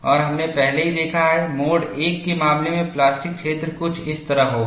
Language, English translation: Hindi, And we have already seen, the plastic zone, in the case of mode one, will be something like this